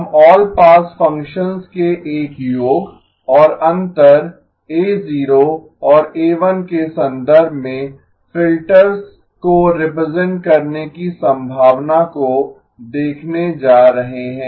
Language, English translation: Hindi, We are going to look at the possibility of representing the filters in terms of a sum and difference of all pass functions a0 and a1